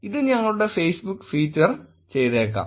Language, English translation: Malayalam, It may be featured on our Facebook page